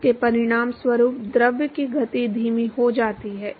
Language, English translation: Hindi, This results in the deceleration of the fluid